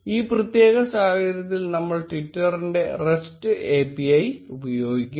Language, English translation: Malayalam, In this specific case, we will be using the rest API of twitter